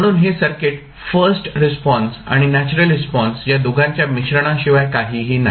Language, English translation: Marathi, So, this is nothing but a combination of first response and natural response of the circuit